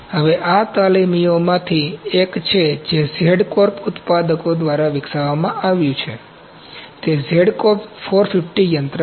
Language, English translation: Gujarati, Now this is one of the apprentices that is developed by Z Corp manufacturers, it is Z Corp 450 machine